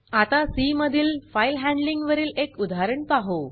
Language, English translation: Marathi, Now let us see an example on file handling in C